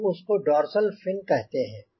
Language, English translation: Hindi, we call it dorsal fin